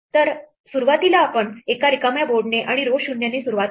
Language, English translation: Marathi, So, we would initially start with an empty board and with row 0